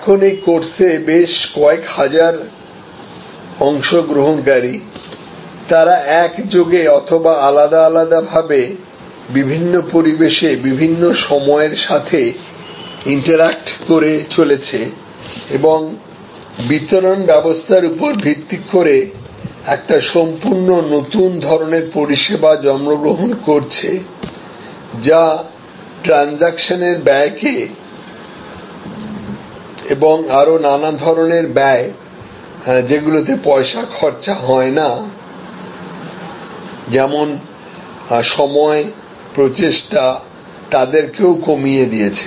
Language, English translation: Bengali, Now, in this course we are several 1000 participants, they are interacting synchronously, asynchronously different times in different environment and a complete new type of service is being born based on the delivery mechanism which vastly slashes out the transaction cost monetarily as well as many non monetary costs, like time, effort and so on